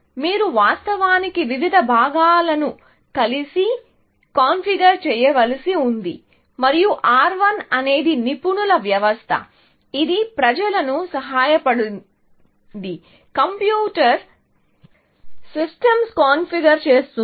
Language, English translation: Telugu, You had to actually configure various components together, and R 1 was an expert system, which helped people, configure computer systems